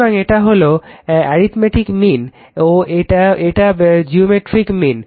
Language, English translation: Bengali, So, this is arithmetic mean and this is geometric mean right